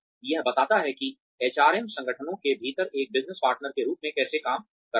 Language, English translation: Hindi, That describes, how HRM operates as a business partner within organizations